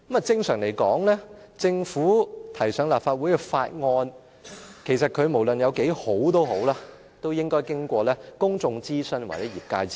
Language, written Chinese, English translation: Cantonese, 正常來說，政府提交立法會的法案/議案，無論有多好，都應該經過公眾諮詢或業界諮詢。, Normally any billsmotions put before the Legislative Council by the Government should be preceded by public consultation or consultation in the relevant sectors